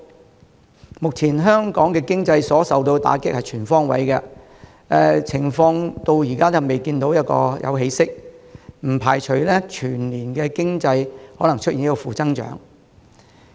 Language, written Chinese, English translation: Cantonese, 陳司長形容，目前香港經濟所受的打擊是全方位的，而因情況至今尚未見起色，他不排除全年經濟可能出現負增長。, As Financial Secretary Paul CHAN described the present blow to Hong Kongs economy is comprehensive and with the situation showing no sign of abating as yet the possibility of having negative growth for the whole year cannot be ruled out